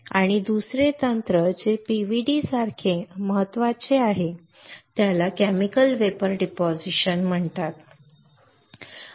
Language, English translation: Marathi, And another technique which is as important as PVD is called Chemical Vapor Deposition right